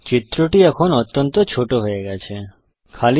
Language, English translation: Bengali, The figure has now become extremely compact